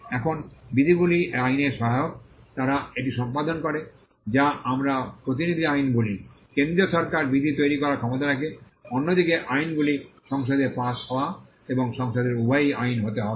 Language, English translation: Bengali, Now, the rules are subsidiary to the act, they perform they are what we call delegated legislation, the central government has the power to make the rules, whereas, the acts have to be acts that are passed and both the houses of the parliament